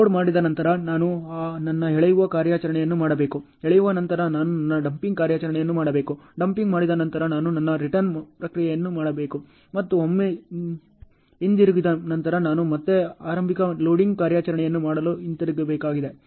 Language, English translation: Kannada, After loading, I have to do my hauling operation, after hauling I have to do my dumping operation, after dumping I have to do my return process and once return I have to again go back to do the initial loading operation